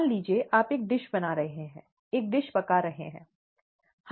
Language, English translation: Hindi, Suppose you are making a dish, cooking a dish, okay